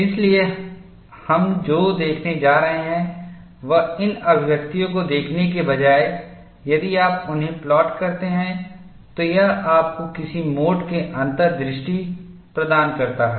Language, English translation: Hindi, So, what we are going to look at now is, rather than looking at these as expressions, if you plot them, that gives you some kind of an insight